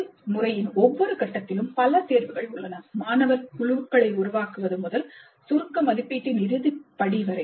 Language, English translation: Tamil, There are many choices at every step of the process right from forming student teams to the final step of summative evaluation